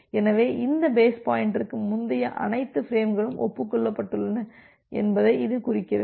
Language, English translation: Tamil, So, this indicates that all the frames before this base pointer has been acknowledged